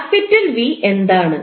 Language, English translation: Malayalam, What is capital V